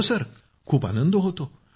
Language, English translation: Marathi, Yes, it feels good